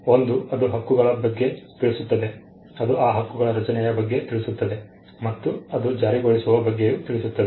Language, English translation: Kannada, One it talks about the rights, it talks about the creation of those rights, and it also talks about enforcement